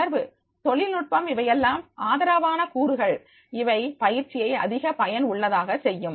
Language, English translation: Tamil, Communication, technology, all these are the supportive components which are making the training more effective